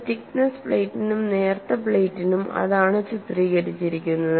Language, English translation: Malayalam, And that is what is depicted for a thick plate and for a thin plate